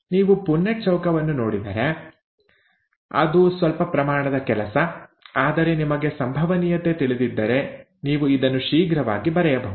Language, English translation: Kannada, If you go through the Punnett Square, it is some amount of work, whereas if you know probability, you can quickly write down this, okay